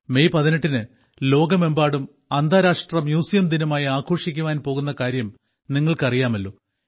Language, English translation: Malayalam, You must be aware that on the 18th of MayInternational Museum Day will be celebrated all over the world